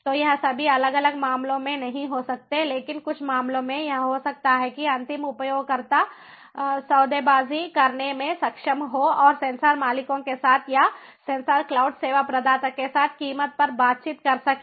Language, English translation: Hindi, so this may not happen in all different cases, but in some cases it might so happen that the end users would be able to bargain and be able to negotiate the price with the sensor owners or, ah, with the sensor cloud service provider, so there would be some kind of a bargaining mechanism in place